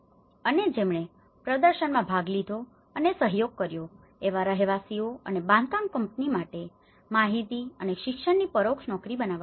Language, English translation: Gujarati, And indirect jobs have been created, information and education for residents and construction companies, which have participated and collaborated in exhibition